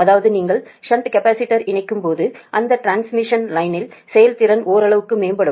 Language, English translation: Tamil, that means when you connect the shunt capacitor, that transmission line efficiency improves to some extent right